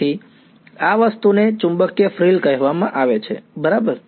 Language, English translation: Gujarati, So, this thing is called a magnetic frill right